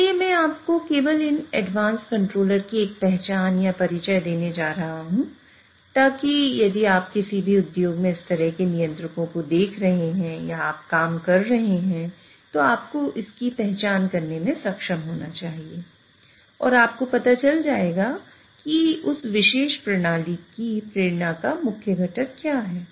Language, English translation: Hindi, So, I'm just going to give you a flavor or introduction to these advanced controllers so that if you see such kind of controllers in any industry you are visiting or you are working, you should be able to identify that and you would know what are the motivation or main components of that particular system